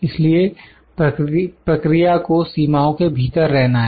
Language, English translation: Hindi, So, process has to remain within this limit